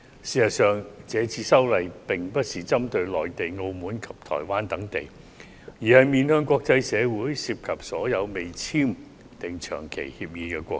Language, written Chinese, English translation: Cantonese, 事實上，這次修例並不是針對內地、澳門及台灣等地，而是面向國際社會，涉及所有未與香港簽訂長期移交逃犯協定的國家。, As a matter of fact the present legislative amendment does not target at the Mainland Macao or Taiwan . Instead it targets at the international community and involves any country with which Hong Kong has not entered into long - term arrangement for the surrender of fugitive offenders